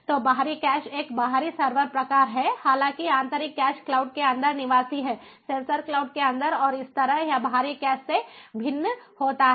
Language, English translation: Hindi, however, internal cache is resident inside the cloud, inside the sensor cloud, and this is how it differs from the external cache